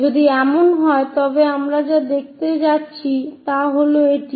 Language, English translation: Bengali, If that is the case what we are going to see is this one